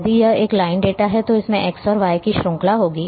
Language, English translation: Hindi, If it is a line data it will have a series of x and y